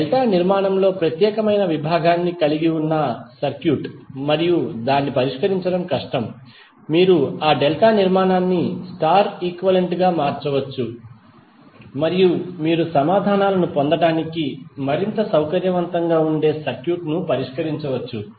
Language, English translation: Telugu, It means that the circuit which has 1 particular segment in delta formation and it is difficult to solve, you can convert that delta formation into equivalent star and then you can solve the circuit which is more convenient to get the answers